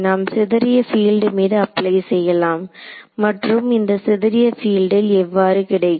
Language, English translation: Tamil, We applied on the scatter field and how do we get this scatter field